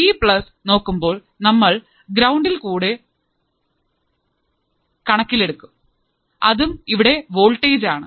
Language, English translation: Malayalam, For Vplus we will be considering this ground, you have voltage here